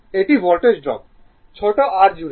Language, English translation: Bengali, So, Voltage drop across small r is 5